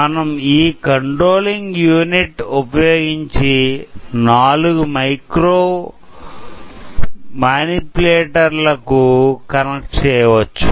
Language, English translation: Telugu, We can connect it to four micromanipulators using this controlling unit